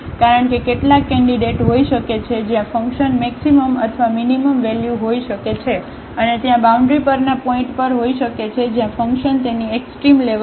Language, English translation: Gujarati, Because, there may be some candidates where the function may take maximum or minimum value and there may be the points on the boundaries where the function may take its extrema